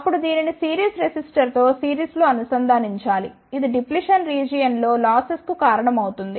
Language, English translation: Telugu, Then this should be connected in series with the series resistor, which accounts for the losses in the depletion region